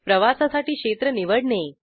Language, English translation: Marathi, To select the sector to travel